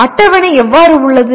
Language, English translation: Tamil, And how does the table look